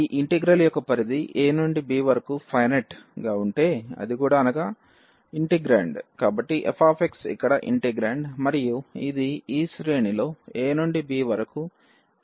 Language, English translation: Telugu, If the range here a to b of this integral is finite and the integrand so, the f x is the integrand here and that is bounded in this range a to b for x